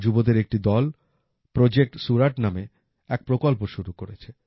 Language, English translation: Bengali, A team of youth has started 'Project Surat' there